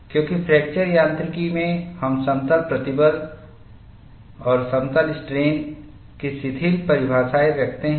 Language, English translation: Hindi, Because, in fracture mechanics, we tend to have looser definitions of plane stress and plane strain